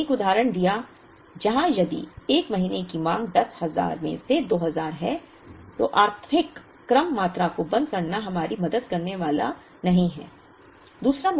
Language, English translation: Hindi, We did give an example where if the 1st month’s demand itself is 2000 out of the 10,000, then rounding off economic order quantity is not going to help us